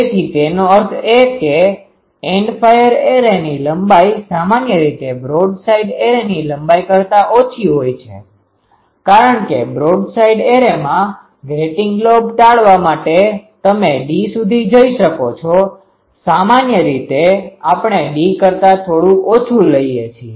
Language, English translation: Gujarati, So that means, the length of the End fire array generally smaller than the length of the broadside array because for broadside array for avoiding grating lobe, you can go up to d, slightly less than d generally we take